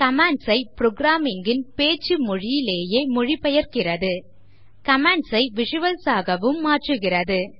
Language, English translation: Tamil, Translates commands to speaking language of the programmer Translates commands into visuals